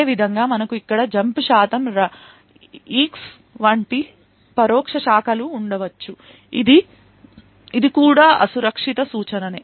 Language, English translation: Telugu, Similarly, we could have indirect branches such as jump percentage eax over here which is also an unsafe instruction